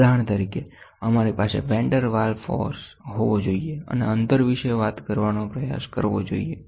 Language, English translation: Gujarati, For example, we must have the Van der Waals force and try to talk about the distance